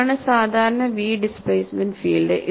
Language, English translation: Malayalam, This is a very typical sketch of v displacement field